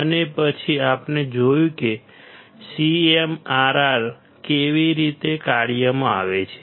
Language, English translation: Gujarati, And then we have seen how CMRR comes into play